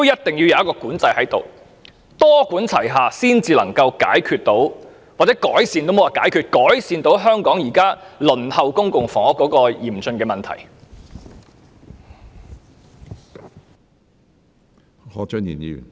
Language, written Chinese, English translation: Cantonese, 政府必須多管齊下，才能夠解決——我應該用"改善"一詞而非"解決"——改善香港現時輪候公屋的嚴峻情況。, The Government must adopt a multi - pronged approach to resolve―I should use the word improve instead of resolve―to improve the serious situation of endless waiting for public housing in Hong Kong